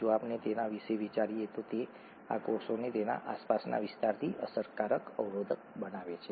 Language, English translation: Gujarati, If we think about it, this forms an effective barrier to the cell from its surroundings